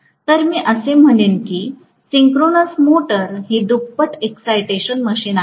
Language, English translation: Marathi, So, I would say that synchronous motor is a doubly excited machine